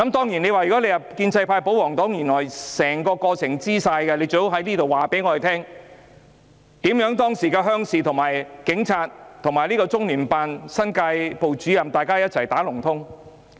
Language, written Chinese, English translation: Cantonese, 如果建制派、保皇黨知道相關事實，請他們告訴我們，為甚麼當時鄉事委員會、警察和中聯辦新界部主任"打龍通"。, If the pro - establishment camp and the royalist party knew any related fact would they please tell us why the Rural Committee police officers and the Director General of New Territories Sub - office of the Liaison Office have ganged up?